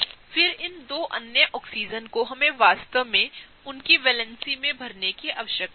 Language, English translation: Hindi, Then, these other two Oxygen we really need to fill in their valencies